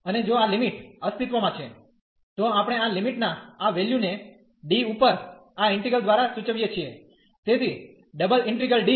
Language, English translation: Gujarati, And if this limit exist, then we denote this integral this value of this limit by this integral over D, so the double integral D